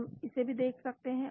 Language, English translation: Hindi, We can look at this one also